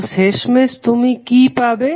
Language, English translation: Bengali, So, what eventually you will get